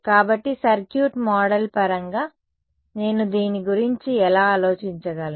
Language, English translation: Telugu, So, in terms of a circuit model, how can I think of this